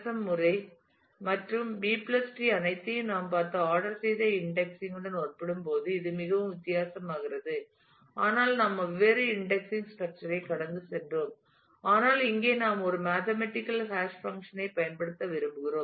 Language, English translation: Tamil, So, this is where it becomes very different compared to the ordered indexing for which we saw all this ISM method and the B+ tree where we went through different index structure, but here we want to make use of a mathematical hash function